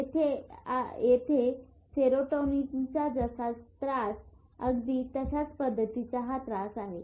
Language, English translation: Marathi, It is the same disturbance of serotonin here and here